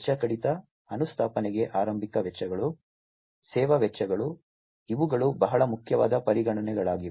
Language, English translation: Kannada, Cost reduction, initial costs for installation, service costs, these are very important considerations